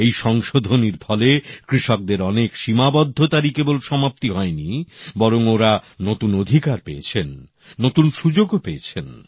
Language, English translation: Bengali, These reforms have not only served to unshackle our farmers but also given them new rights and opportunities